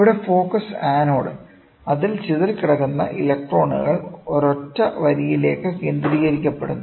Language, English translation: Malayalam, So, here is focusing anode; so that the electrons which are dispersed are focused onto a single line